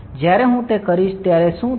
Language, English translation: Gujarati, When I do that, what will happen